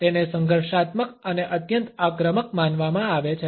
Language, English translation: Gujarati, It is considered to be confrontational and highly offensive